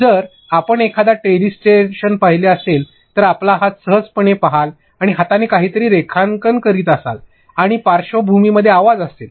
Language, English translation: Marathi, So, if you have seen a telestration, you will simply see your hand and in the hand it is continuously drawing and there is audio in the background